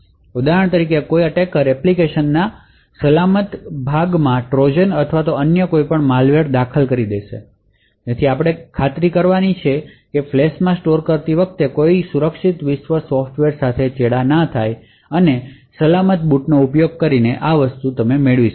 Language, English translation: Gujarati, So, for example an attacker would insert Trojan’s or any other malware in the secure component of the application thus we need to ensure that no secure world software gets tampered with while storing in the flash and one way to achieve this is by using secure boot